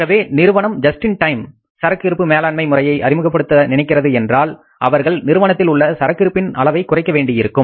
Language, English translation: Tamil, So, this firm is of the view that they won't introduce the just in time inventory management system so they want to reduce the level of inventory in the firm